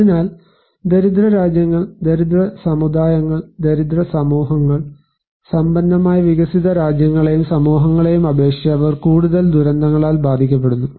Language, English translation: Malayalam, So, poorer the countries, poorer the communities, poorer the societies, they are more affected by disasters than the prosperous developed nations and societies and communities